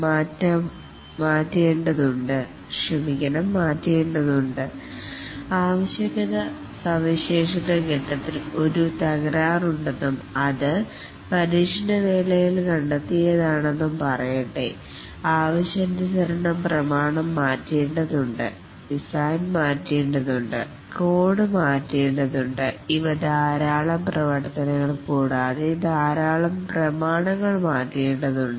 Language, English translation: Malayalam, But if, let's say, a defect occurs in the requirement specification phase and it is discovered during testing, then not only the requirement specification document has to change, the design needs to be changed, the code needs to be changed and these are lot of activities and lot of documents need to change